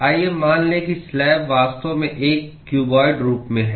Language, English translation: Hindi, Let us assume that the slab is actually is in a cuboid form